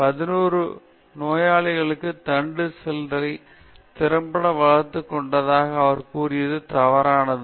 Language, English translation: Tamil, His claim to have efficiently developed eleven patient specific stem cell lines was false